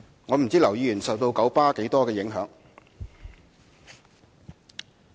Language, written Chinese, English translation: Cantonese, 我不知道劉議員受到九巴多少影響。, I do not know how much influence has been exerted by KMB on Mr LAU